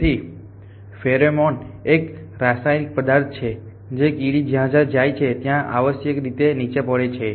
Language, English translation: Gujarati, So, pheromone is a chemical sentences which an ant drops wherever it goes essentially